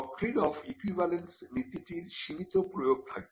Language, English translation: Bengali, The principle that is the doctrine of equivalence will have a limited application